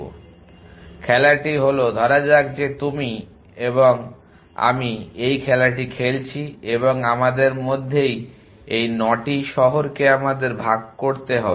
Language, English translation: Bengali, So, the game is that that say you and I playing this game and we have to divided this 9 cities between us